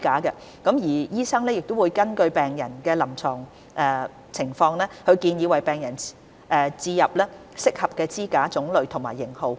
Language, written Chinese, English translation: Cantonese, 醫生會根據病人臨床情況，建議為病人置入適合的支架種類及型號。, Clinicians will advise on the types and models of coronary stents to be used for individual patients having regard to their clinical situations